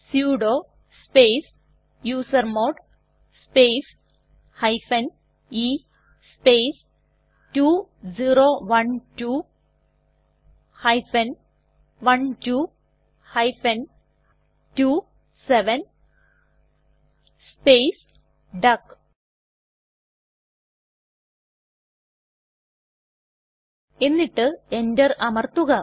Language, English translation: Malayalam, Here at the command prompt type sudo space usermod space e space 2012 12 27 space duck and press Enter